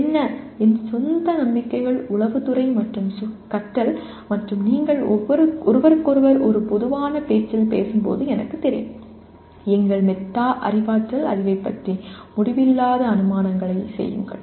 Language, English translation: Tamil, And my own beliefs of what intelligence and learning and I am sure when you talk to each other in a common parlance we make endless number of assumptions about our metacognitive knowledge